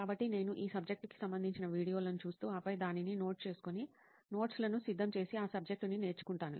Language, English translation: Telugu, So I would be watching relevant videos to the subject and then noting it down and preparing notes and then learning the material